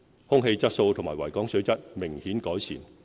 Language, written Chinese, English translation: Cantonese, 空氣質素和維港水質明顯改善。, Air quality in our city and water quality in Victoria Harbour have improved notably